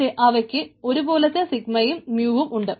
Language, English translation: Malayalam, and then, but they have something identical: sigma and mu